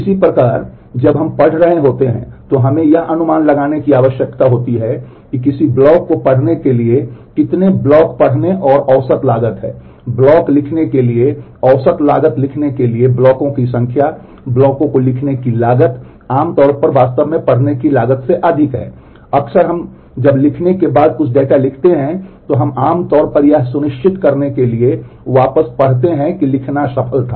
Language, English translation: Hindi, Similarly, while we are reading that we need to estimate how many blocks to read and average cost to read a block, number of blocks to write average cost to write the block, cost to write the block is usually greater than the cost to read actually often when we write a write some data after writing we also usually read it back to make sure that the write was successful